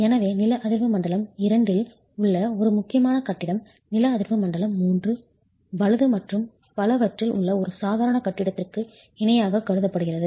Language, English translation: Tamil, So, an important building in seismic zone 2 is considered on par with an ordinary building in seismic zone 3, right